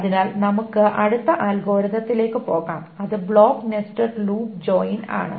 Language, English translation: Malayalam, So let us continue with the next algorithm which is the block nested loop join